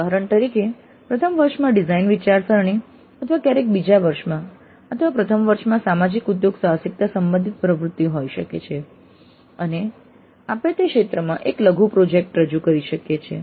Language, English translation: Gujarati, Examples can be design thinking in first year or sometimes in second year or in first year there could be activity related to social entrepreneurship and we might offer a mini project in that area